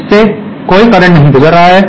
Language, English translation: Hindi, There is no current passing through it